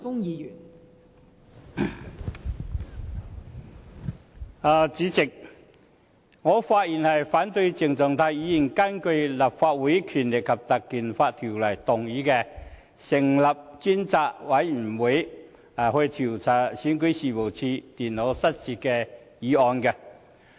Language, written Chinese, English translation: Cantonese, 代理主席，我發言反對鄭松泰議員根據《立法會條例》，動議成立專責委員會調查選舉事務處電腦失竊的議案。, Deputy President I rise to speak against the motion moved by Dr CHENG Chung - tai under the Legislative Council Ordinance which seeks to appoint a select committee to inquire into the incident of the loss of the notebook computers of the Registration and Electoral Office REO